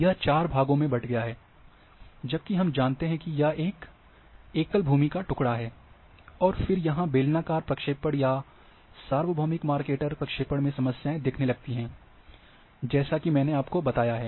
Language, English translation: Hindi, It has gone in four parts, we know that is a single land mass, and there are problems then, in cylindrical projections or universal Mercator or that projection,which I have taught